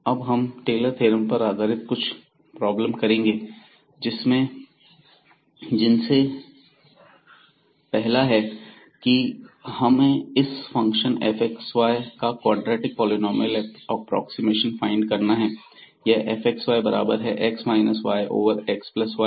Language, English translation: Hindi, So, we have now some problems based on these Taylor’s expansion the first one is find the quadratic polynomial approximation of the function this fx y is equal to x minus y over x plus y